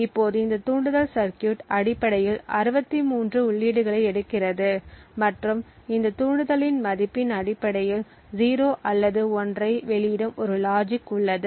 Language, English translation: Tamil, Now this trigger circuit essentially takes 63 inputs and based on the value of this trigger there is a logic which outputs either 0 or 1